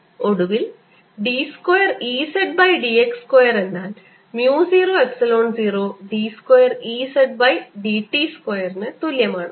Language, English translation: Malayalam, and finally, partial of e, z, partial x square is equal to mu zero, epsilon zero, partial e z over partial t square